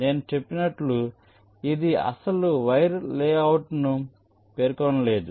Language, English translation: Telugu, in this step, as i said, it does not specify the actual wire layouts